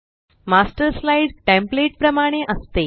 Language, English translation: Marathi, The Master slide is like a template